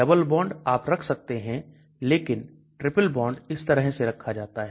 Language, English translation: Hindi, Double bond you can put, but triple bond is put like this